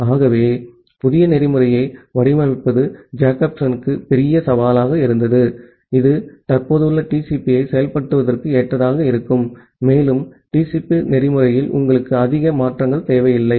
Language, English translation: Tamil, So that was the major challenge for Jacobson to design a new protocol, which would be compatible with the existing implementation of TCP, and you do not require much changes in the TCP protocol